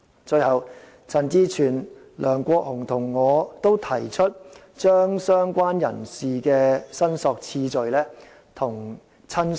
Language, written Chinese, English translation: Cantonese, 最後，陳志全議員、梁國雄議員與我均提出把"相關人士"的申索次序與"親屬"看齊。, Lastly Mr CHAN Chi - chuen Mr LEUNG Kwok - hung and I have proposed that related person be given the same order of priority of claim with relative